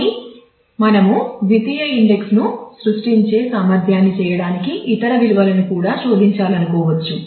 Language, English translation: Telugu, But we may want to search for other values also to make that efficient we create a secondary index